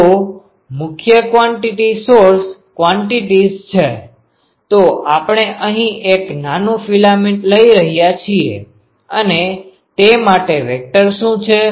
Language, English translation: Gujarati, So, again the prime quantities are source quantity; so we are taking a small filament here and what is the vector for that